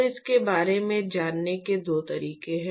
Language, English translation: Hindi, So, there are two ways to go about it